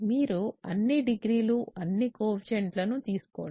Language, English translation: Telugu, So, you take all degrees ,all coefficients